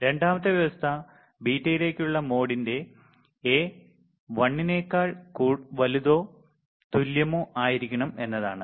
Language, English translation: Malayalam, The second condition was that the mode of mod of A into beta should be greater than or equal to 1